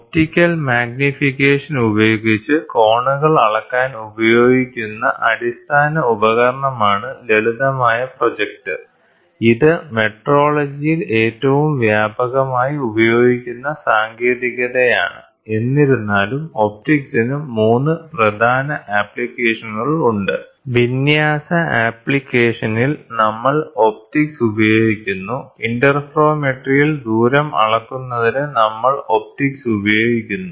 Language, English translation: Malayalam, A simple projector is a basic device used for measuring angles with optical magnification is one of the most widely used technique in metrology; however, optics has 3 major applications, in alignment application we use optics, in interferometry we use optics for measuring the distance